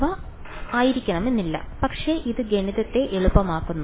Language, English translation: Malayalam, They need not be, but it makes math easier